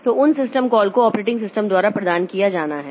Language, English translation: Hindi, So, those system calls are to be provided by the operating system